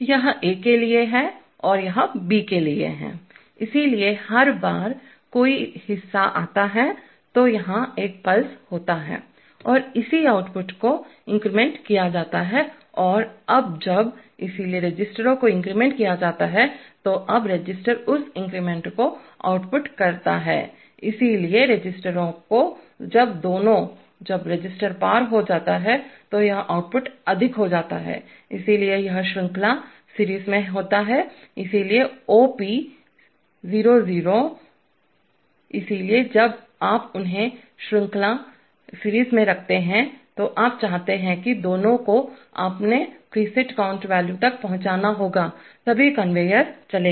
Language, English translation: Hindi, This is for A and this is for B, so every time a part arrives there is a pulse here and the corresponding outputs are incremented and now when, so the registers are incremented, now the outputs the register that increment, so when the registers, when both of, when the register crosses, this output goes high, so it is in series, so OP00, so when you put them in series, you want that both of them must reach their preset count values, only then the conveyor will run